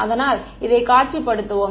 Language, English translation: Tamil, So, let us visualize this right